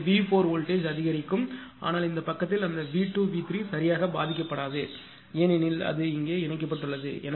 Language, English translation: Tamil, So, V 4 voltage will increase, but in this side that V 2 V 3 it will not be affected that way right because it is it is a connected here